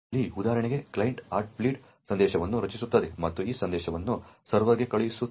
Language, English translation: Kannada, Over here for example the client would create the Heartbeat message and send that message to the server